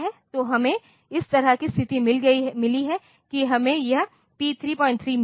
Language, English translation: Hindi, So, we have got the situation like this that we have got this P 3